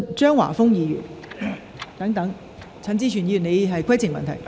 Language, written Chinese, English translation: Cantonese, 張華峰議員，請提出你的主體質詢。, Mr Christopher CHEUNG please ask your main question